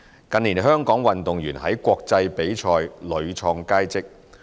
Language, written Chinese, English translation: Cantonese, 近年香港運動員在國際比賽屢創佳績。, Hong Kong athletes have attained great achievements in international competitions in recent years